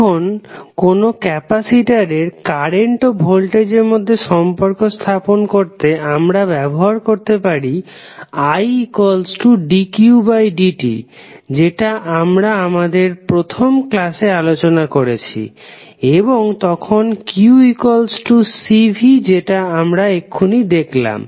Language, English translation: Bengali, Now, to obtain current voltage relationship in a capacitor, we can use the equation I is equal to dq by dt, this what we calculated in our first lecture and then q is equal to C V which we just now saw